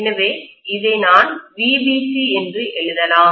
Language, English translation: Tamil, So I can write this as VBC